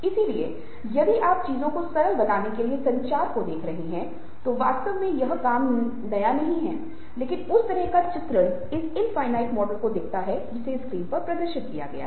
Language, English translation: Hindi, so, if you are looking at communication to simplify things, that hasnt actually worked but that kind of illustrates the infinite model that is being displayed on the screen